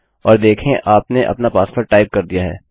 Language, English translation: Hindi, and see you have typed your password